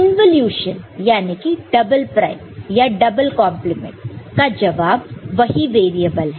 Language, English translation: Hindi, Involution so, double prime, double complement is this variable itself